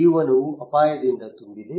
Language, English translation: Kannada, Life is full of risk